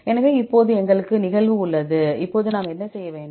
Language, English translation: Tamil, So, now, we have the occurrence; now what we have to do